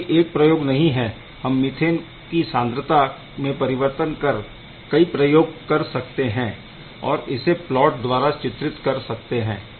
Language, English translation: Hindi, So, this is not one experiment you have to take many different concentration of methane and by varying different concentration of methane you will be able to draw this plot